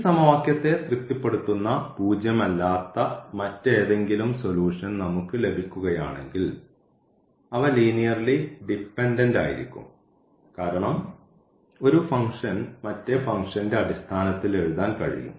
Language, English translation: Malayalam, And if we get any nonzero solution which satisfy this equation then they are linearly dependent because one function 1 can write in terms of the other function